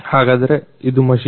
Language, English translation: Kannada, So, this is the machine